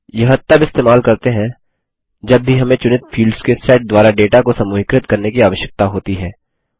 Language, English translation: Hindi, This is used whenever we need to group the data by a set of selected fields